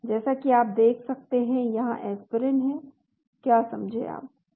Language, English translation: Hindi, as you can see here Aspirin is there, do you understand